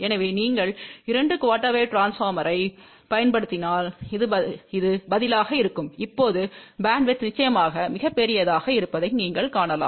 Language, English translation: Tamil, So, if you use two quarter wave transformer, this will be the response and you can see now the bandwidth is definitely much larger